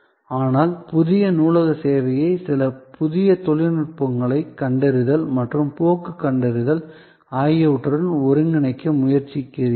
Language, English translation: Tamil, But, you try to integrate the new library service with some new technologies spotting and trend spotting